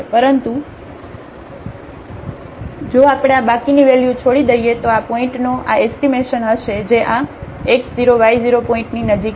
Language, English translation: Gujarati, But if we leave this remainder term then this will be the approximation of this f at this point in which is in the neighborhood of this x 0 y 0 point